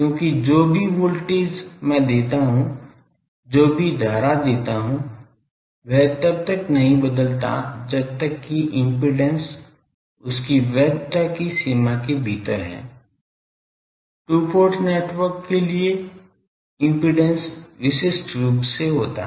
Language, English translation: Hindi, Because that does not change whatever voltage I give whatever current I give as long as that impedance is within the range of its validity the impedance uniquely characterizes the 2 port network